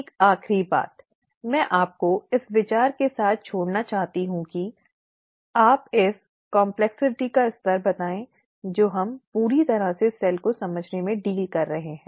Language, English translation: Hindi, One last thing, I would like to leave you with this thought to tell you the level of complexity that we are dealing with even in understanding the cell completely